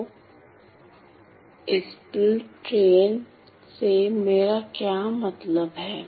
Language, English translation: Hindi, So, what do I mean by impulse train